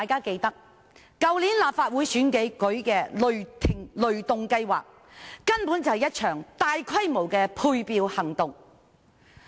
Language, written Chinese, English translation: Cantonese, 去年立法會選舉的雷動計劃，根本就是一場大規模的配票行動。, The ThunderGo campaign for the Legislative Council election last year was literally a large - scale campaign for allocating votes